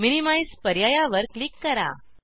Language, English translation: Marathi, Click on the option minimize